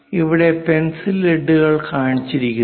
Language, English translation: Malayalam, And here the pencil leads are shown